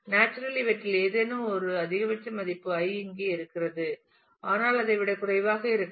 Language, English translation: Tamil, Naturally the maximum value of any of these i is the i here, but it could be less than that